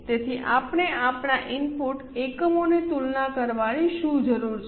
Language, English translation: Gujarati, So, what we need to compare are input units